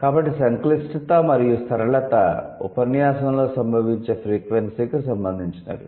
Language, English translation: Telugu, So, complexity and simplicity they are related to frequency of occurrence in the discourse